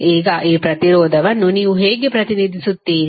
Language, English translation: Kannada, Now, how you will represent this resistance